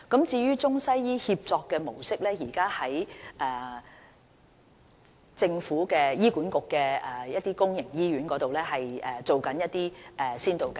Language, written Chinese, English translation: Cantonese, 至於中西醫協作的模式，現時正在醫管局轄下的一些公營醫院進行一些先導計劃。, As for the ICWM model some public hospitals under HA have already launched certain pilot schemes